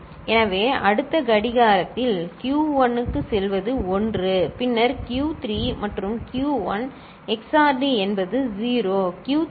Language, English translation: Tamil, So, what will go to Q1 in the next clock is 1 ok, then Q3 and Q1 XORed is 0, Q3 and Q1 XORed is 0